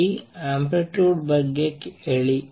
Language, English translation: Kannada, What about this amplitude